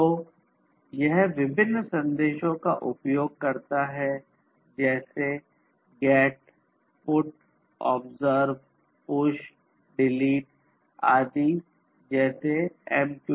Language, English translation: Hindi, So, it utilizes different message messages such as GET, PUT, OBSERVE, PUSH, DELETE etc like the MQTT ones that I mentioned earlier